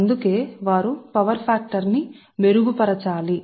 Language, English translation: Telugu, thats why they have to improve the power factor right